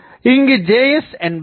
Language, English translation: Tamil, What is Js